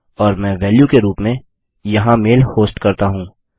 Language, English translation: Hindi, And I type the mail host in there as the value